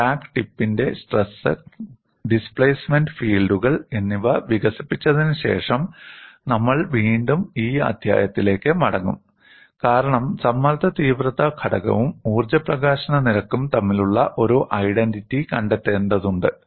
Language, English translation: Malayalam, You would come back to this chapter after developing crack tips, stress and displacement fields, because we need to find out an identity between stress intensity factors in energy release rate